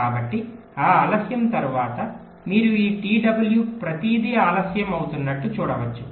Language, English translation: Telugu, so after this delay you can see that this t w, everything as getting delayed